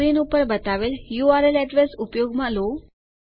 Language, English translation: Gujarati, Use the url address shown on the screen